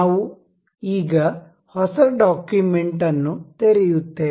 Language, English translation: Kannada, We now will open up new document